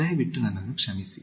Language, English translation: Kannada, Please excuse me